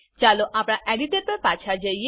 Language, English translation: Gujarati, Lets switch back to our editor